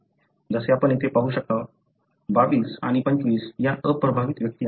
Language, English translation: Marathi, As you can see here, 22 and 25, these are the unaffected individuals